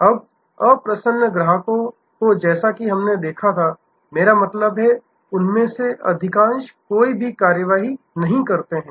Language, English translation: Hindi, Now, unhappy customers as we saw, I mean in a large majority of them take no action